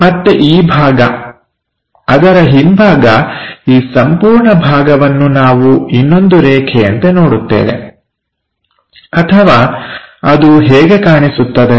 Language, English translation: Kannada, Again this part the back side of that this entire part we will see as one more line that is this